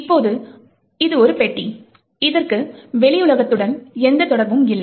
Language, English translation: Tamil, Now, this is a box and there is no connection to the outside world